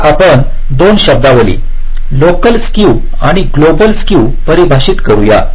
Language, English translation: Marathi, now we define two terminologies: local skew and global skew